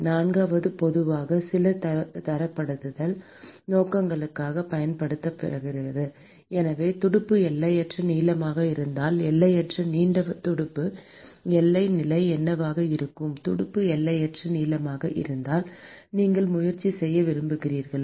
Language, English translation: Tamil, And the fourth one which is generally used for some standardization purposes: So, supposing if the fin is infinitely long infinitely long fin, what will be the boundary condition if the fin is infinitely long you want to try